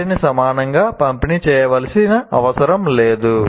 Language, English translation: Telugu, Or they need not be evenly distributed